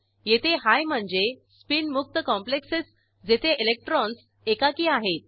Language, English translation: Marathi, Here High means spin free complexes where electrons are unpaired